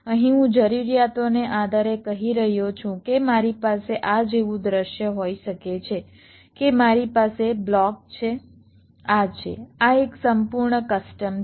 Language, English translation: Gujarati, here i am saying, depending on the requirements, like i may have a scenario like this, that i have a block, this is, this is a full custom